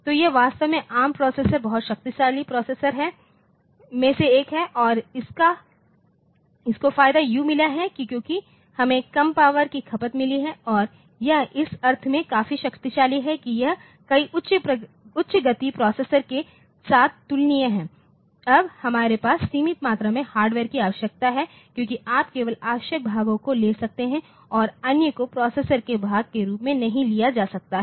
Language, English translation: Hindi, So, that is actually the ARM processor is one of the very powerful processors and it has got the advantage because we have got low power consumption and it is quite powerful in the sense that it is comparable with many of the high speed processors; that we have now with the limited amount of hardware requirement because you can take only the essential parts and others can other may not be taken as part of the processor